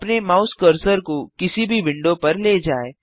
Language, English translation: Hindi, Move your mouse on the menu options